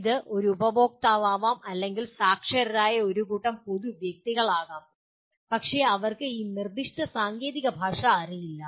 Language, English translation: Malayalam, It could be a customer or it could be a group of public persons who are literate alright but they do not know this specific technical language